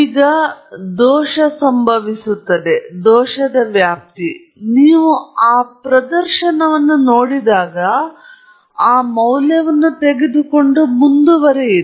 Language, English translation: Kannada, Now, there is a lot of scope of error, scope for error, when you just look at that display, take that value and proceed